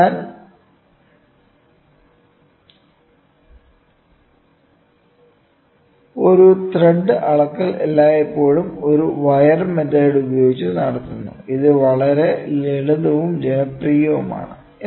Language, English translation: Malayalam, So, a thread measurement is always conducted by a wire method, which is very simple and popular